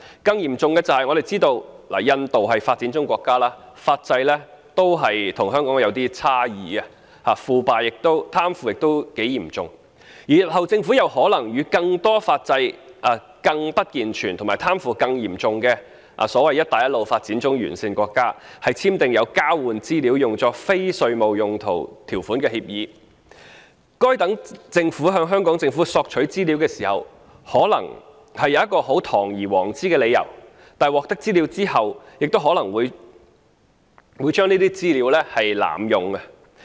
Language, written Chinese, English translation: Cantonese, 更嚴重的是，我們都知道印度是發展中國家，其法制與香港有差異，貪腐也相當嚴重，而日後政府又可能與更多法制更不健全及貪腐更嚴重的"一帶一路"沿線發展中國家簽訂有交換資料作非稅務用途條款的協定，該等政府在向香港政府索取資料時，可能會提出堂而皇之的理由，但在獲得資料後卻可能會濫用該等資料。, Worse still India is as we all know a developing country where corruption is rife and which legal system differs from that of Hong Kong . And the Government may in the future enter into agreements that provide for the use of the exchanged information for non - tax related purposes with the developing countries along the Belt and Road countries with legal systems even less robust and corruption more rampant . Their governments may request information from the Hong Kong Government by citing perfectly legitimate grounds but end up misusing the information thus obtained